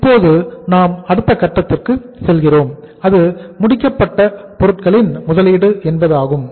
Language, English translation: Tamil, Now we go for the next stage that is the investment in the finished goods